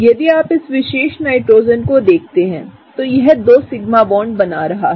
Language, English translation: Hindi, If you look at this particular Nitrogen, it is forming 2 sigma bonds